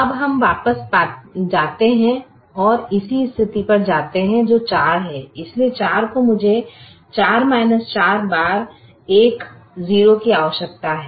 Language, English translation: Hindi, i take this and then i multiply this one by four, subtract so i will have four minus four times one is zero